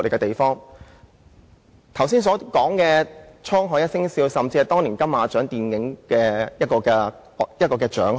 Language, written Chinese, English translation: Cantonese, 我剛才提及的"滄海一聲笑"，甚至在當年金馬獎影展獲得獎項。, The song A Laugh on the Open Sea even won a prize at the Golden Horse Awards of that year